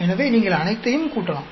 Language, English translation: Tamil, So, then, you can add up all of them